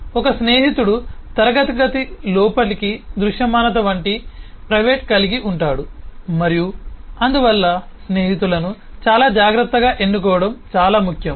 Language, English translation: Telugu, A friend will have a private like visibility into the inner of the class and therefore it is very important to choose the friends very carefully